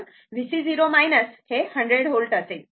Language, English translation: Marathi, So, V C 0 minus will be 100 volt